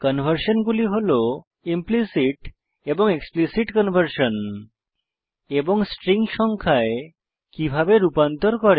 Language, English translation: Bengali, And this is how we do implicit and explicit conversion and How do we converts strings to numbers